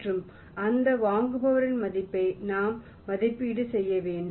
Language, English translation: Tamil, We will have to evaluate the worth of that buyer